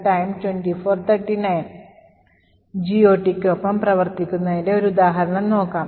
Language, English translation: Malayalam, Let us look at an example of working with GOT